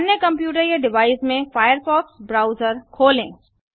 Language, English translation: Hindi, Open the firefox browser in the other computer or device